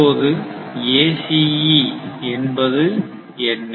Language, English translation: Tamil, Now, what is ACE